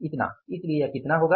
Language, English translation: Hindi, So this will work out as how much